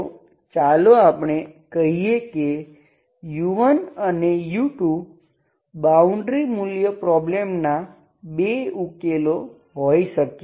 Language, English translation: Gujarati, So let u1, u2 be 2 solutions, 2 solutions of boundary value problem